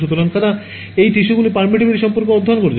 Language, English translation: Bengali, So, they have studied the permittivity of these tissues